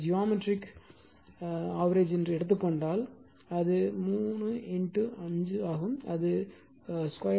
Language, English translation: Tamil, But if you take it geometric mean, it is 3 into 5 it will be root 15 right